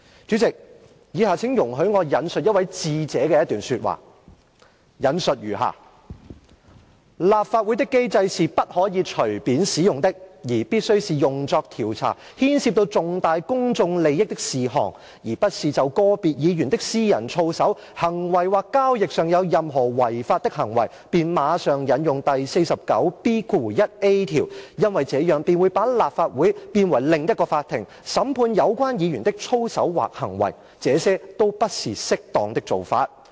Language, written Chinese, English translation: Cantonese, 主席，以下請容許我引述一位智者的一段說話，我引述如下："立法會的機制是不可以隨便使用的，而必須是用作調查牽涉到重大公眾利益的事項，而不是就個別議員的私人操守、行為或交易上有任何違法的行為，便馬上引用第 49B 條，因為這樣便會把立法會變為另一個法庭，審判有關議員的操守或行為，這些都不是適當的做法......, President please allow me to quote the excerpt of the remarks from a wise man and I quote the mechanism of the Legislative Council should not be activated casually . It must be activated only for the purpose of investigating matters of significant public interest . It is definitely inadvisable to invoke 49B1A immediately to address the personal integrity or conduct of individual Members or any illegal acts of transaction conducted by Members Rule 49B1A should not be invoked indiscriminately as a mechanism for conduct of investigations